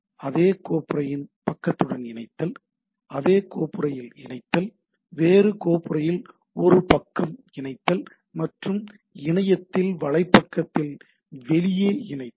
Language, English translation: Tamil, Link to a page of the same folder right, you can link to the same folder; link to a page of a different folder; and link outside the web page on the internet